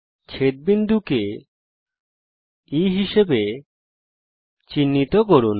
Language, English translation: Bengali, Let us mark the point of intersection as E